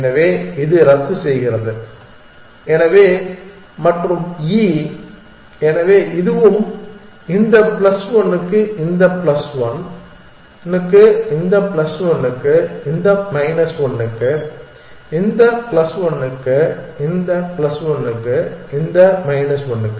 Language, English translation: Tamil, So, this cancel, so and e, so this is also plus 1 for this 1 plus 1 for this plus one for this minus 1 for this plus 1 for this minus 1 for this